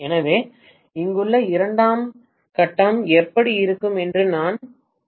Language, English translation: Tamil, So, I am going to how the second phase here like this